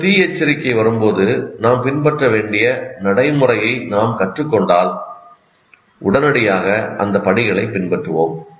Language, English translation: Tamil, And then if you have learned what is the procedure you need to follow when the fire alarm comes, you will immediately follow those steps